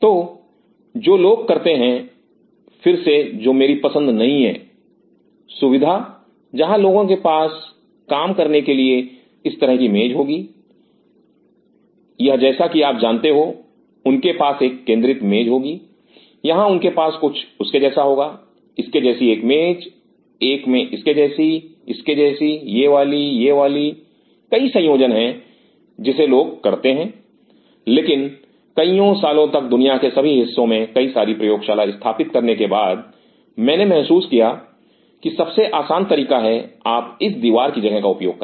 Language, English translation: Hindi, So, verses what people does which is definitely not my choice again, facility where people will have tables like this to work or like you know they have a centered table or they may have something like this one table like this, one table like this, like this one, this one, this one there are several combination people does, but over the years after setting up multiple labs all over the world I realize the easiest way is that you utilize this wall space